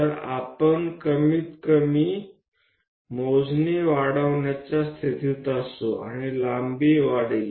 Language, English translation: Marathi, So, that we will be in a position to increase that least count and the length also increases